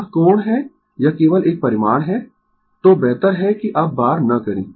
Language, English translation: Hindi, It is angle this is a magnitude only; so better not to bar now